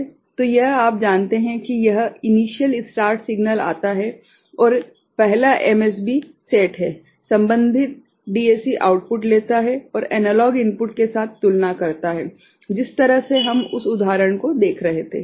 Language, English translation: Hindi, So, that is it is just you know this initial start signal comes right and the first is, MSB is set, the corresponding DAC takes the output and compares with the analog input, the way we were looking at that example right